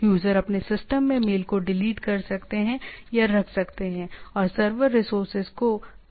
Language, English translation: Hindi, Users can either delete or keep mails in their systems and minimize the server resources